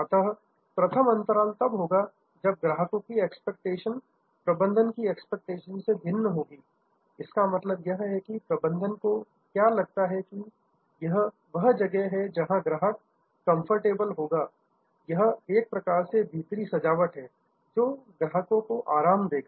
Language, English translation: Hindi, So, gap number 1 is when customers expectation differs from the management perception; that means, what the management feels is that, this is the kind of where the customer will find comfortable, this is the kind of room decor which will give customer comfort